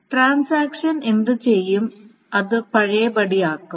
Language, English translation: Malayalam, So what the transaction needs to do is to undo